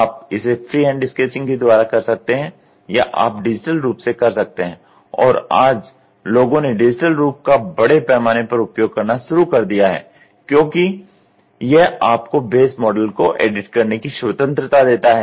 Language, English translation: Hindi, You can do it by free hand sketching or you can do by a digital form and today, people started using digital form in a big way because it gives you a freedom of editing on the base model